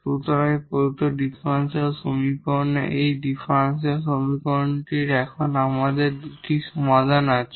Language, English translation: Bengali, So, this will be the solution here for this given differential equation this linear differential equation